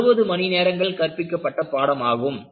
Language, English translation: Tamil, And, this comes for about 60 hours of teaching and learning